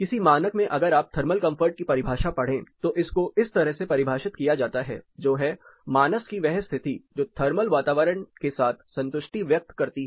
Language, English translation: Hindi, If you read the definitions of thermal comfort in any standard it is defined as the condition of mind which expresses satisfaction with the thermal environment